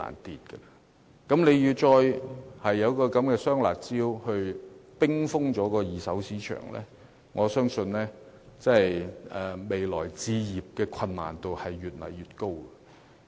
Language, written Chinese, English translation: Cantonese, 如果政府再推出"雙辣招"遏抑二手市場，我相信未來置業的難度會越來越高。, If the Government once again introduces double curbs measures to rein in the secondary market I believe that it will be increasingly difficult to acquire a property in the future